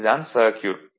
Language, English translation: Tamil, This is the circuit right